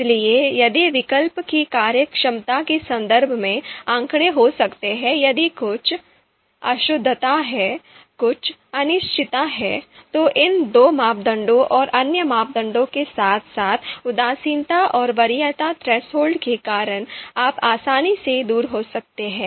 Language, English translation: Hindi, So if you know there could be you know the data the numbers in terms of performance of the alternative if there is some you know impreciseness is there, some uncertainty is there, then because of these two parameters and other parameters as well indifference and preference threshold, you know you can you know you can easily get away from that kind of situation